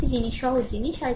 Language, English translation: Bengali, Another thing is simple thing